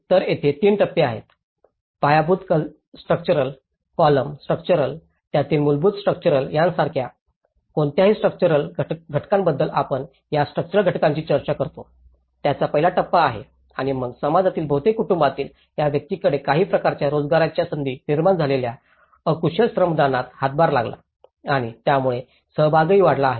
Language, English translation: Marathi, So there are 3 stages, one is the first stage the basic construction of the structural elements we talk about any structural elements like the foundations, the columns, the structure, the basic structure of it and then these individuals from each family within the community have contributed the unskilled labour that has created some kind of employment opportunities and this has also enhanced the participation